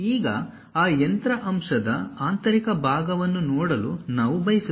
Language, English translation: Kannada, Now, we would like to see the internal portion of that machine element